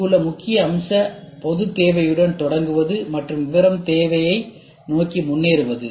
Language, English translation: Tamil, The main point here is to start with general need and progress towards detail need, ok